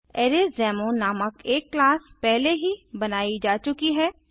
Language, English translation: Hindi, A class named ArraysDemo has already been created